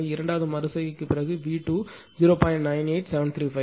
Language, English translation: Tamil, So, after second iteration V 2 is 0